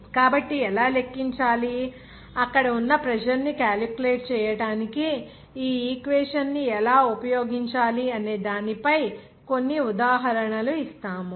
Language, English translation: Telugu, So, we will give some example also there, how to calculate, how to use this equation to calculate the pressure there